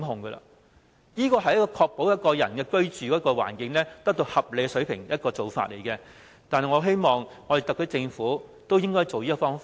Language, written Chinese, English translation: Cantonese, 這做法可確保一個人的居住環境得到合理水平，我希望特區政府都會仿效。, This practice can ensure that each person has a reasonable living space . I hope that the SAR Government will also adopt this practice